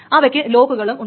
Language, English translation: Malayalam, They also use lock